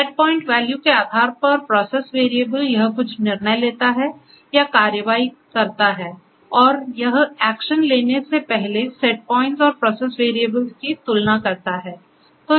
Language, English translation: Hindi, So, based on the process variable based on set point value and so on, it takes certain decisions it or actions and it compares the process variables with the set points before it takes the action